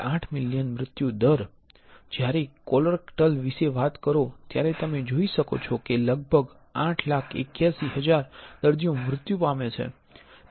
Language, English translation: Gujarati, 8 million deaths; when talk about colorectal you can see about 88 881000 patients die